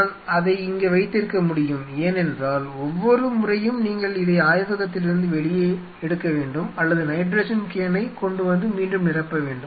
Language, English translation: Tamil, I can keep it here because every time you have to pull this out of the lab or you have to bring the nitrogen can and you know refill that